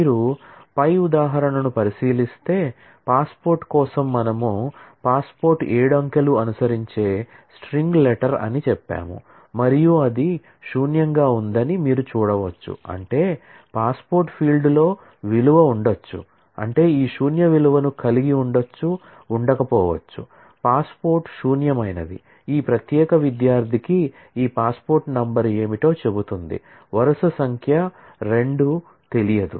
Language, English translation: Telugu, So, if you look into the example above, then you will see that for passport we have said that the passport is a string letter followed by seven digits and it is null able, which means that in the passport field, I may have a value, may have this null value which means that it is not that, the passport is null, what it is saying is this passport number for this particular student, the row number 2 is not known, is unknown